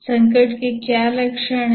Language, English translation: Hindi, What are the symptoms of the crisis